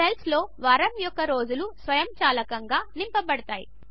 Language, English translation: Telugu, The cells get filled with the weekdays automatically